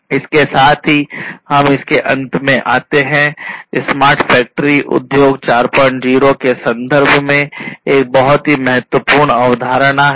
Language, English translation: Hindi, So, with this we come to an end of it, smart factory remember is a very important concept in the context of Industry 4